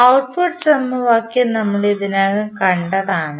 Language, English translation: Malayalam, So, what is the output equation